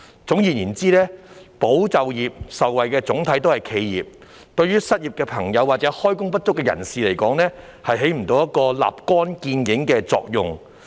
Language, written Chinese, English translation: Cantonese, 總而言之，"保就業"受惠的總體是企業，對於失業或開工不足的人士來說，起不到立竿見影的作用。, In short those who benefited from ESS were generally enterprises . For the unemployed or underemployed it achieved no immediate effect